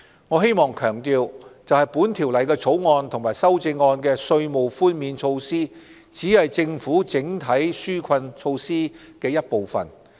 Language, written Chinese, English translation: Cantonese, 我希望強調，《2019年稅務條例草案》和修正案的稅務寬免措施只是政府整體紓困措施的一部分。, I would like to stress that the Inland Revenue Amendment Bill 2019 and the tax concessions in the amendment are only part of the Governments overall relief measures